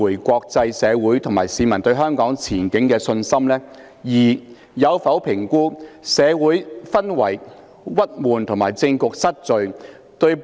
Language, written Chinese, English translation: Cantonese, 國際社會及市民對香港前景的信心，關係到香港作為國際金融中心的地位。, The confidence of the international community and our citizens in Hong Kongs prospect has a bearing on Hong Kongs status as an international financial centre